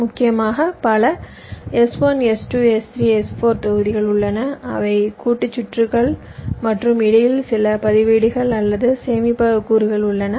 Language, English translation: Tamil, essentially, we have several s, one, s, two, s, three s, four blocks which are combinational circuits and there are some registers or storage elements in between